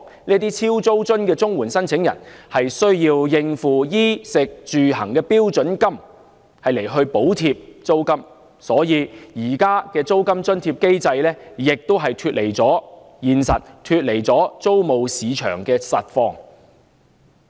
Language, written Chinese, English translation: Cantonese, 這些"超租津"的領取綜援人士需要以應付衣食住行的標準金額來補貼租金，故此現時的租金津貼機制亦脫離了現實和租務市場的實況。, CSSA recipients faced with such a problem would have to make up for the shortfall in rent allowance with the standard rate payment covering their basic livelihood needs . Therefore the existing mechanism of rent allowance is also detached from reality and the true situation in the rental market